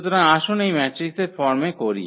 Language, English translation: Bengali, So, let us put in this matrix form